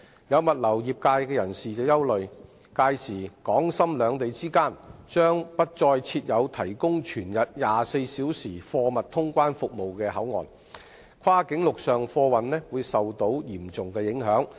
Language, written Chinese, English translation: Cantonese, 有物流業人士憂慮，屆時港深兩地之間將不再設有提供全日24小時貨物通關服務的口岸，跨境陸上貨運會受到嚴重影響。, Some members of the logistics industry are worried that as there will no longer be any BCP providing round - the - clock cargo clearance service between Hong Kong and Shenzhen by then cross - boundary land freight transport will be seriously affected